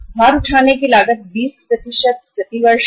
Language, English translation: Hindi, Carrying cost is 20% per annum